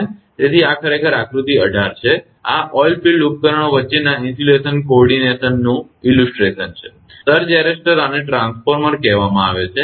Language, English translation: Gujarati, So, this is actually figure 18 this is the illustration of the insulation coordination between oilfield equipment, and surge arrester this is this called the transformer right